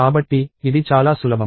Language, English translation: Telugu, So, it is as simple as that